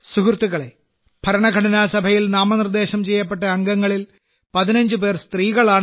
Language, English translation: Malayalam, Friends, it's again inspiring that out of the same members of the Constituent Assembly who were nominated, 15 were Women